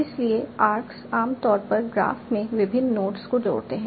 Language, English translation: Hindi, So arcs generally connect two different nodes in the graph